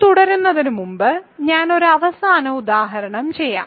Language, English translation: Malayalam, So, I will do one final example before we continue